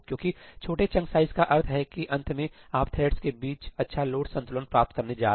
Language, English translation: Hindi, Because smaller chunk size means that at the end you are going to get good load balancing amongst the threads